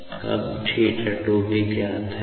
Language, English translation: Hindi, So, theta 3 is known